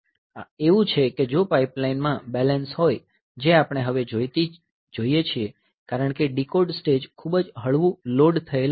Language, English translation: Gujarati, So, this as it is if there is a balancing in the pipeline that we see now because the decode stage was very lightly loaded